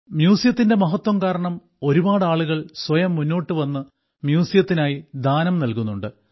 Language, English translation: Malayalam, Now, because of the importance of museums, many people themselves are coming forward and donating a lot to the museums